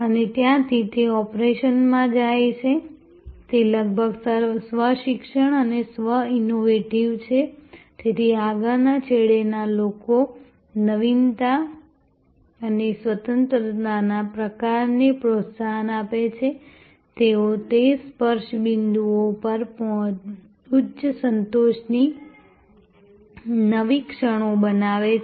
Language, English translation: Gujarati, And from there, it goes to the operation is almost self learning and self innovating, so the people at the front end with the kind of structure freedom encouragement for innovation, they create new moments of high satisfaction at that touch points